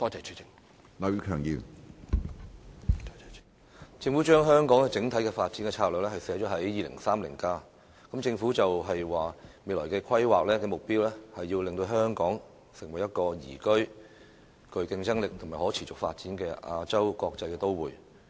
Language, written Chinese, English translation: Cantonese, 政府將香港整體發展策略寫入《香港 2030+》，政府表示未來的規劃目標，是令香港成為一個宜居、具競爭力和可持續發展的亞洲國際都會。, The Government has set out the overall development strategy of Hong Kong in Hong Kong 2030 . According to the Government its goal of future planning is to make Hong Kong a liveable competitive and sustainable Asias World City